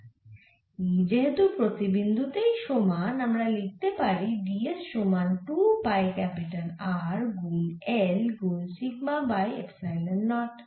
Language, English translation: Bengali, so because e is constant at every point, we can write this as d s equal to two pi capital r into capital l into sigma over epsilon naught